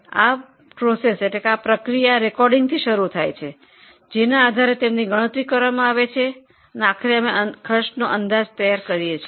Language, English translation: Gujarati, Now this process begins with the recording and also the basis on which they are calculated and ultimately we prepare the cost statements